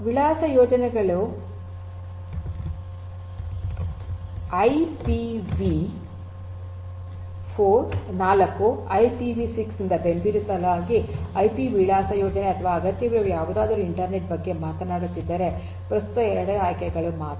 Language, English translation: Kannada, Has addressing schemes supported IP addressing scheme supported by IPV4, IPV6 or whatever is required these are the only 2 options at present if you are talking about the internet